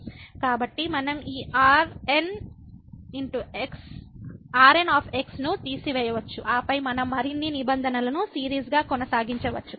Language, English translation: Telugu, So, we can remove this and then we can continue with the further terms as a series